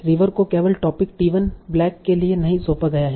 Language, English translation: Hindi, River is not assigned to only topic T1 black